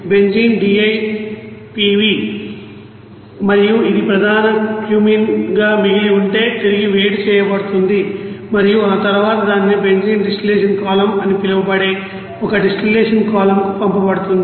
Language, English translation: Telugu, And remaining that benzene DIPV and that is main Cumene will be reheated and then it will be send to one distillation column it is called benzene distillation column